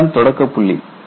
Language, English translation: Tamil, That is a starting point